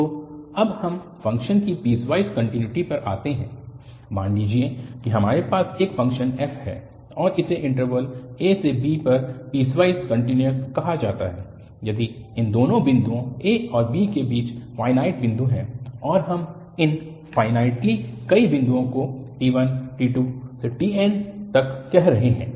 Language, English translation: Hindi, So, now coming to the piecewise continuity of a function, suppose we have a function f and it is called piecewise continuous on interval a, b if there are finite number of points between these two points a and b and we are calling these finitely many points as t1 t2 and tn